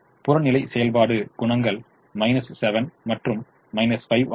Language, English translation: Tamil, the objective function coefficients are minus seven and minus five